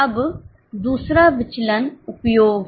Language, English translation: Hindi, Now, the other variance is usage